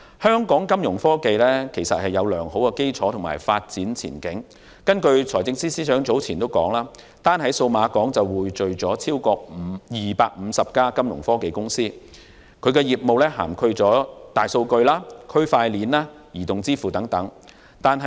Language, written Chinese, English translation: Cantonese, 香港金融科技有良好的基礎和發展前景，根據財政司司長早前所說，單在數碼港便匯聚了超過250間金融科技公司，業務涵蓋大數據、區塊鏈和移動支付等。, Fintech in Hong Kong has a good foundation and development prospects . As stated by the Financial Secretary some time ago we have brought together more than 250 Fintech companies in Cyberport engaging in businesses that include big data blockchain and mobile payments . In fact the Pearl River Delta is also an important region of science and technology